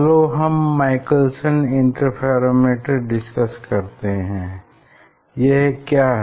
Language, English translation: Hindi, let us let us discuss the Michelson interferometers what it is